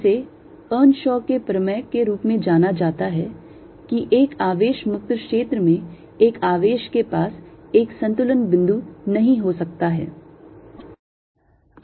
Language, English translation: Hindi, this is know b the way as earnshaw's theorem, that in a charge free region, a charge cannot have an equilibrium point